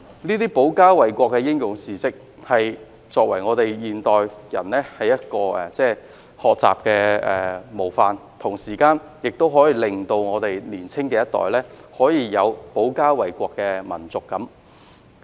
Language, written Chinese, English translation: Cantonese, 這些保家衞國的英勇事蹟，是現代人的學習模範，同時也可以令年青一代有保家衞國的民族感。, These heroic deeds to defend the country are models for modern people to learn from and they at the same time help develop among the younger generation national sentiments to defend the country